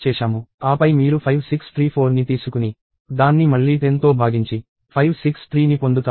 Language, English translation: Telugu, Then you take 5634 itself and again divide it by 10 to get 563 and so on